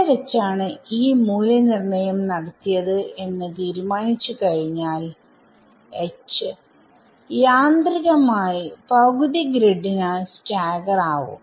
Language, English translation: Malayalam, Once I fix where E is evaluated H automatically becomes staggered by half grid right